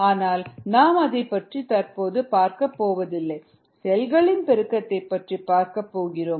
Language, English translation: Tamil, but we are not taking about that, we are taking of of the multiplication of cells, ah